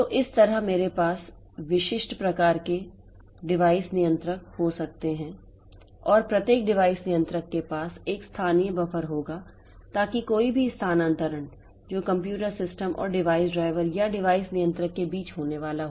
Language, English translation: Hindi, So, that way I can have device controllers of a specific type and each device controller will have a local buffer so that any transfer that is going to take place between the computer system and the device driver or the device controller